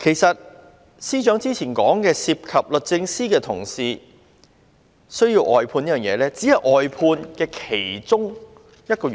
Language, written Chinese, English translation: Cantonese, 司長說，如果案件涉及律政司的同事，才需要外判，但其實這只是外判的其中一個原因。, The Secretary for Justice says that a case will not be briefed out unless it involves a member of DoJ